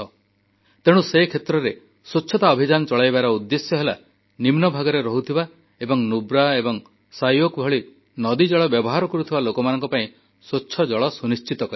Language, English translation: Odia, Therefore, running a cleanliness campaign here means ensuring clean water for those who live in lowlying areas and also use the water of rivers like Nubra and Shyok